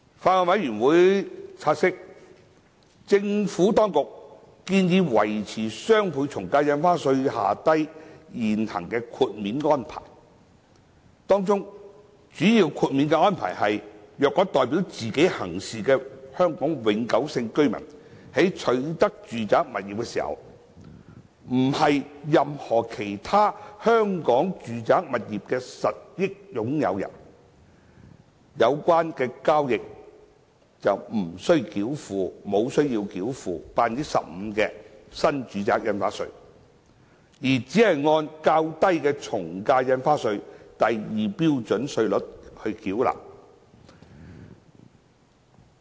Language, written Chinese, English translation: Cantonese, 法案委員會察悉，政府當局建議維持雙倍從價印花稅機制下的現行豁免安排；當中主要豁免安排為：若代表自己行事的香港永久性居民在取得住宅物業時，不是任何其他香港住宅物業的實益擁有人，有關交易不須繳付 15% 的新住宅印花稅，而只須按較低的從價印花稅第2標準稅率繳稅。, The Bills Committee notes that the Administration has proposed to maintain the prevailing exemption arrangements under the DSD regime . The major exemption is the acquisition of residential property by a HKPR who is acting on hisher own behalf and is not a beneficial owner of any other residential property in Hong Kong at the time of acquisition . Such acquisitions are exempted from the NRSD rate of 15 % and are only subject to the lower AVD rates at Scale 2